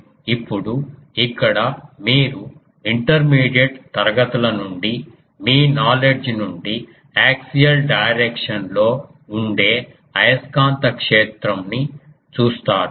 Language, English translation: Telugu, Now here you see that from your knowledge from class intermediate classes that the magnetic field that will be in the axial direction